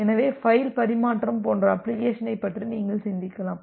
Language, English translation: Tamil, So, you can just think of an application like a file transfer